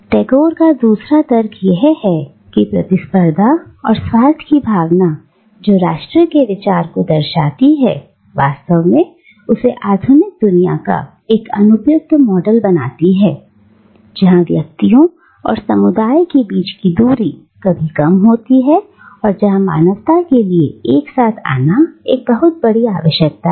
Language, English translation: Hindi, Tagore’s second argument is that the spirit of competition and selfishness that informs the idea of nation makes it an unsuitable model for a modern world where the distance between individuals and communities is ever reducing, and where there is an ever greater need for humanity to come together as a universal brotherhood